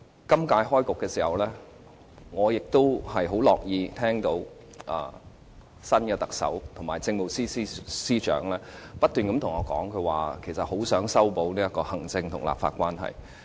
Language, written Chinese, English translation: Cantonese, 今屆會期開始時，我亦很樂意聽到新特首及政務司司長不斷對我們說，很希望修補行政立法關係。, At the beginning of this legislative session I was happy that the new Chief Executive and the Chief Secretary for Administration told us time and again that they were eager to mend the relationship between the executive authorities and the legislature